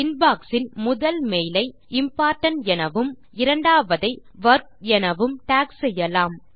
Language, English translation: Tamil, Lets tag the the first mail in the Inbox as Important and the second mail as Work